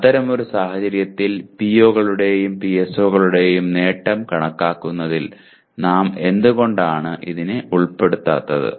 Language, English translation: Malayalam, In such a case why are we not including them in computing the attainment of POs and PSOs